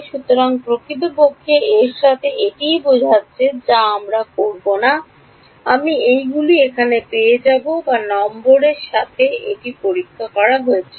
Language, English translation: Bengali, So, actually, of these this is corresponding to I mean I will not, I will not get all of these over here this was testing along edge number 5